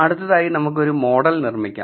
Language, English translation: Malayalam, So, now, let us go and build a model